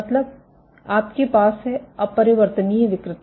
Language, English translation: Hindi, So, you have irreversible deformation